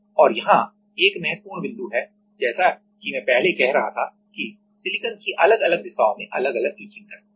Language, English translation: Hindi, And here, one important point is; as I was saying earlier that, the silicon has different etching rate in different direction